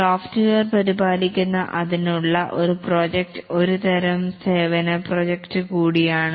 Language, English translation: Malayalam, A project to maintain the software is also a type of services project